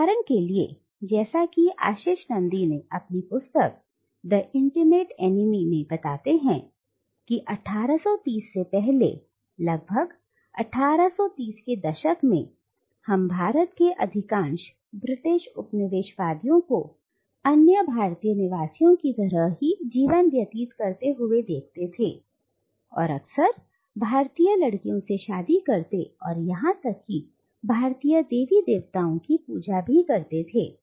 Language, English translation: Hindi, So, for instance, as Ashis Nandy points out in his book The Intimate Enemy, before the 1830’s, roughly the 1830’s, we can see most British Colonisers in India living life just like other Indian inhabitants and often marrying Indian wives and even offering pujas to Indian gods and goddesses